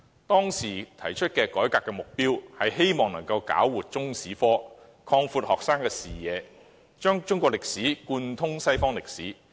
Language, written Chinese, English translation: Cantonese, 當時提出改革的目標是搞活中史科，擴闊學生的視野，讓中史貫通西方歷史。, The objectives of the reform were to enliven the teaching of Chinese history widen students horizon and integrate Chinese history with world history